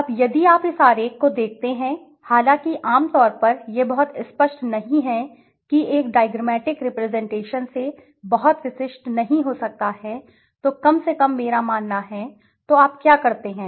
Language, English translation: Hindi, Now if you look at this diagram although generally it is not very clear one cannot be very specific from a diagrammatic representation at least I believe that right, so what you do is